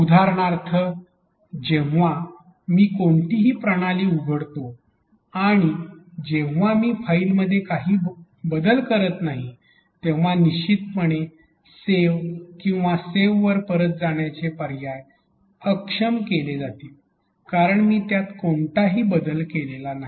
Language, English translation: Marathi, For example, when you when I open any system and if I have not changed anything in the file; obviously, the save or revert to saved options are going to be disabled because I have not made any changes to it